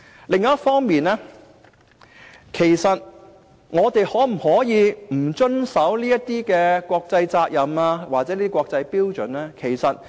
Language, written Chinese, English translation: Cantonese, 另一方面，我們可否不遵守這些國際責任或國際標準？, On the other hand can we refuse to comply with these international responsibilities or international standards?